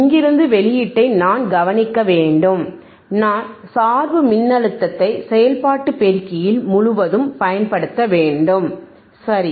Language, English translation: Tamil, I hadve to observe the output from here, right I hadve to apply the bias voltage across the across the operation amplifier alright